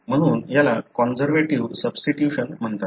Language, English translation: Marathi, So, these are called as conservative substitution